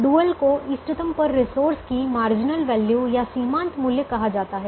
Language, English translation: Hindi, so the dual is called marginal value of the resource at the optimum